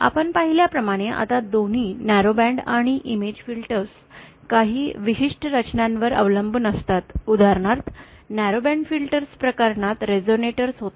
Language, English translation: Marathi, Now both the narrowband and image filters as we had seen, they rely on certain set structures, for example in the narrowband filter case, there were resonators